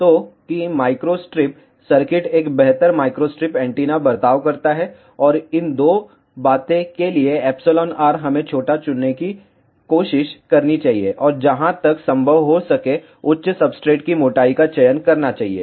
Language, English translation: Hindi, So, that a microstrip circuit behaves a better microstrip antenna and these 2 things are we should try to choose epsilon r value, as small, as possible and we should choose the thickness of the substrate as high as possible